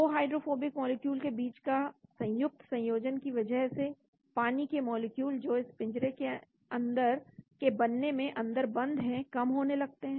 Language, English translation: Hindi, Association between 2 hydrophobic molecules lead to a decrease of the number of water molecules trapped in the cage formation